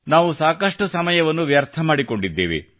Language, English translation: Kannada, We have already lost a lot of time